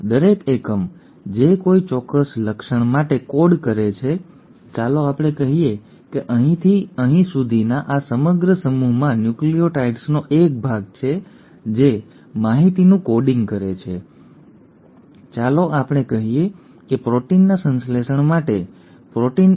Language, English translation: Gujarati, Each unit which codes for a particular trait, let us say this entire set from here to here has a stretch of nucleotides which are coding information, let us say, for synthesis of a protein, protein 1